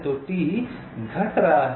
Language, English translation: Hindi, so t is decreasing